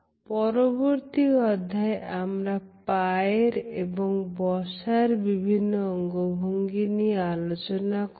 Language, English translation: Bengali, In the next module, I would take up the movement of the feet and sitting postures